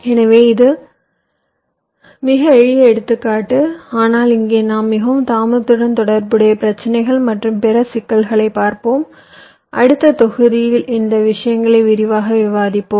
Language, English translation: Tamil, so this is just a very simple example i have given, but here we shall be looking at much more delay, ah, delay related issues and other problems there in in our next modules, where we discussed these things in detail